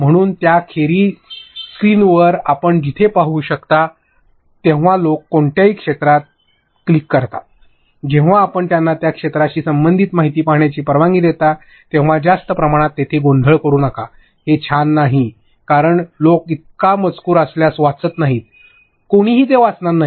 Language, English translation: Marathi, So, other than that have in between like wherever you can see on the screen like when people click on any area, then you allow them to see information regarding that area do not clutter the screen with too much, it is not cool, because people would not read if there is so much of text on screen, nobody is going to read that